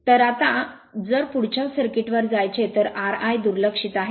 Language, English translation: Marathi, So, now if you go to the next circuit here R i is neglected